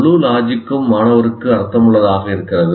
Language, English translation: Tamil, And the entire logic makes sense to the student